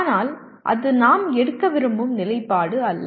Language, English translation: Tamil, But that is not the stand we would like to take